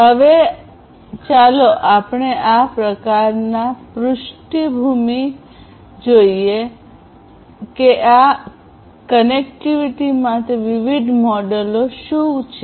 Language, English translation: Gujarati, Now, let us look at in this kind of backdrop what are the different models for this connectivity